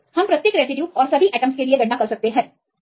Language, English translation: Hindi, So, we can calculate for each residues and all atoms